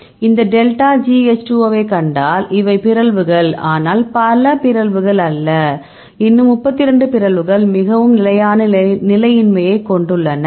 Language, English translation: Tamil, So, you can see this delta G H 2 O, you can see these are the mutation not many mutations, but still or 32 mutations which are have extremely stable right